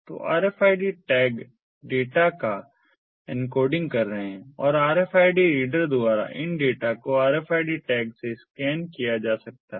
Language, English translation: Hindi, so rfid tags are encoding the data and these data can be scanned from the rfid tags by the rfid reader